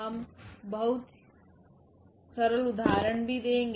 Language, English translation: Hindi, We will be doing very simple example also